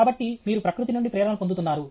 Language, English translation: Telugu, So, you are getting inspired by nature